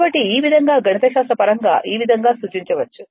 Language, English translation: Telugu, So, this this way you can mathematically you can represent like this